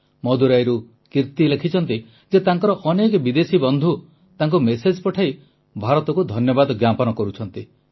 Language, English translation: Odia, Kirti ji writes from Madurai that many of her foreign friends are messaging her thanking India